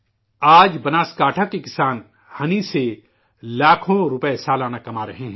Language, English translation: Urdu, Today, farmers of Banaskantha are earning lakhs of rupees annually through honey